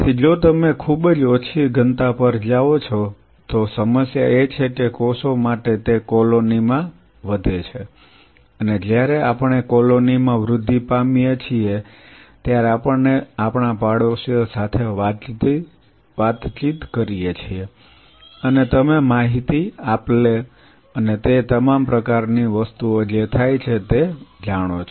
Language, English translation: Gujarati, So, if you go very low density the problem is for the cells to so cells they grow in colonies and when we grow in a colony we interact with our neighbors and you know in the information transfer and all those kinds of stuff which happens which is strengthened say for example, your neighbor tells you, you know there is a there is this problem happening